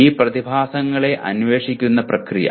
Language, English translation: Malayalam, Process of investigating these phenomena